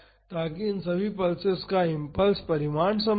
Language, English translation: Hindi, So, that the impulse magnitude of all these pulses are same